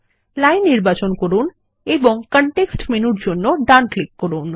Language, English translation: Bengali, Select the line and right click for the context menu